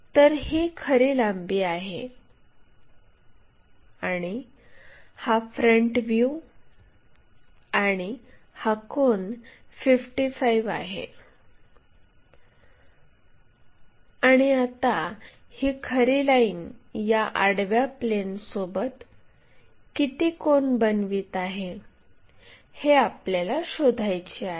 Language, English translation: Marathi, So, this is true length and this is the front view, true line and this angle is 55 and what we have to find is the angle true line making in that horizontal thing